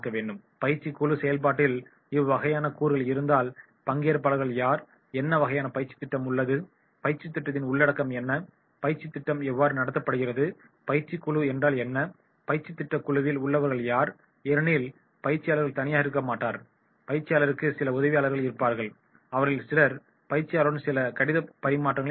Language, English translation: Tamil, And then in that case if these elements in the group process that is who are the participants, what type of the training program is there, what are the contents of the training program, how is the delivery of the training program, what is the training team, who are in the training team because the trainer will be not alone, trainer will have certain assistance, he will have certain team members, those will be helping, they will be having certain correspondence with the trainer